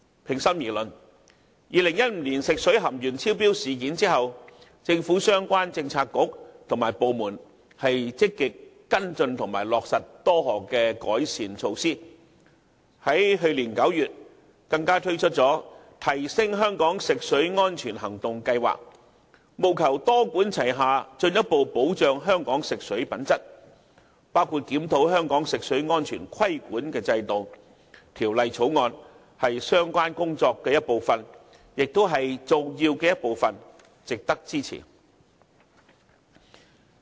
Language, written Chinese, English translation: Cantonese, 平心而論，在發生2015年食水含鉛超標事件後，政府相關政策局及部門一直積極跟進和落實多項改善措施，去年9月，更推出了"提升香港食水安全行動計劃"，務求多管齊下，進一步保障香港食水品質，包括檢討香港食水安全規管制度，《條例草案》即為相關工作的一部分，亦是重要的一環，實在值得支持。, In all fairness relevant government Policy Bureaux and departments have been taking forward follow - up actions and implementing various improvement measures after the incident of excess lead found in drinking water in 2015 . The Action Plan for Enhancing Drinking Water Safety in Hong Kong was launched last September to further safeguard drinking water quality in Hong Kong through a multi - pronged approach including the review on the regulatory system for the safety of drinking water in Hong Kong . The Bill as an important part of the Governments efforts in this regard really deserves our support